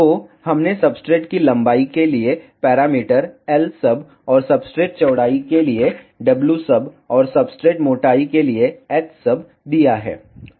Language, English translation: Hindi, So, we have given the parameter l sub for substrate length, and w sub for substrate width, and h sub for substrate thickness